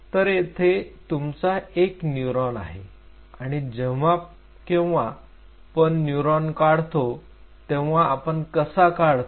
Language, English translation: Marathi, So, here you have a classic neuron and whenever we draw the neurons we drew it like this right